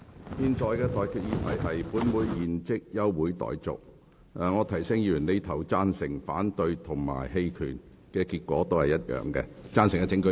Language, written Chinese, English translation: Cantonese, 我提醒議員，不論議員所作的表決是贊成、反對還是棄權，結果同樣是休會。, Let me remind Members that regardless of whether Members vote for or against the motion or abstain the result will be the same in that the meeting will be adjourned